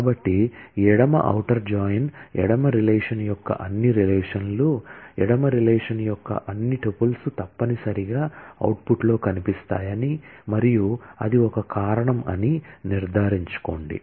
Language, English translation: Telugu, So, left outer join ensure that, all relations of the left relation, all tuples of the left relation will necessarily feature in the output and that is a reason